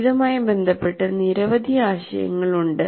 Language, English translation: Malayalam, There are several ideas associated with this